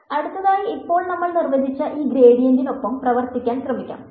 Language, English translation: Malayalam, Moving on, now let us try to work with this gradient that we have defined